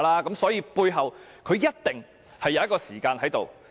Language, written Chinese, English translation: Cantonese, 因此，背後一定會有時間性。, Hence there must be a time frame behind it